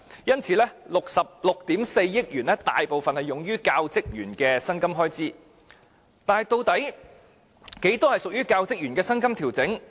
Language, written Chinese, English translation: Cantonese, 因此， 6億 4,400 萬元大部分是用於教職員的薪金開支，但究竟有多少屬於這個部分？, Therefore a majority of the 644 million was spent on paying the salaries of teaching staff but how much was it exactly?